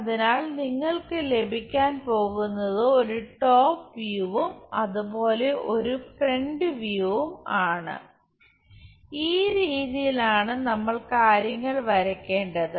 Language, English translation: Malayalam, So, what you are going to have is top view a top front view as it is, that is the way we have to draw the things